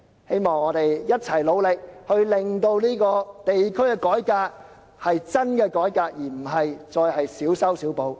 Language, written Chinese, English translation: Cantonese, 希望我們共同努力，令真正的地區改革得以推行，而不再是小修小補的改變。, I look forward to working together to enable the implementation of a genuine reform in district administration instead of those minor and insignificant changes